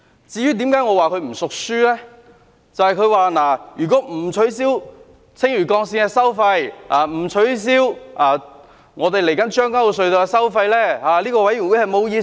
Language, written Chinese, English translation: Cantonese, 就是他說如果不取消青嶼幹線的收費，以及將軍澳隧道的收費，這個法案委員會便沒有意思。, Because he said that if the tolls of the Lantau Link and the Tseung Kwan O Tunnel are not waived this Bills Committee will be rendered meaningless